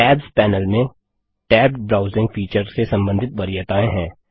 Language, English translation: Hindi, The Tabs panel contains preferences related to the tabbed browsing feature